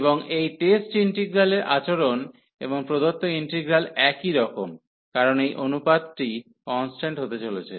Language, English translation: Bengali, And behavior of this test integral, and the given integral is the same, because this ratio is coming to be constant